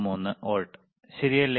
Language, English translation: Malayalam, 93 volts, excellent